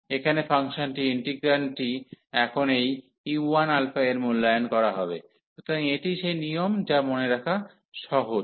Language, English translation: Bengali, And the function here, the integrand will be now evaluated at this u 1 alpha, so that is the rule that is easy to remember